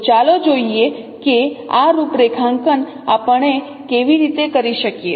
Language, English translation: Gujarati, So let us see how this computation we can do